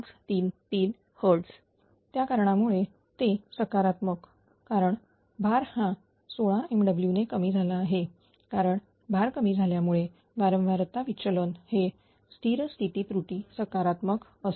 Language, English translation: Marathi, So, this is that because it is positive because the load load has ah decreased 16 megawatt decrease because of load decrease the frequency deviation will be a steady state error will be positive